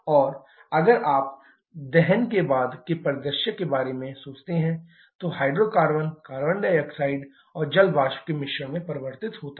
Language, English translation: Hindi, And if you think about the post combustion scenario because of combustion the hydrocarbon gets converted to a mixture of carbon dioxide and water vapour